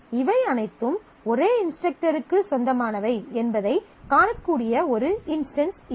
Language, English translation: Tamil, So, this is a possible instance that you can see though all of these belong to the same instructor